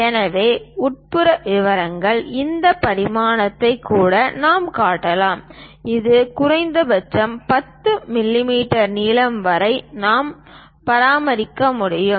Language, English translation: Tamil, So, the inside details we can show even this dimension as this one also as long as minimum 10 mm length we can maintain it